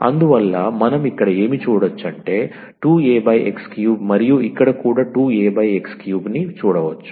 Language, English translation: Telugu, So, what do we see here 2 A over x cube and here also 2 A over x cube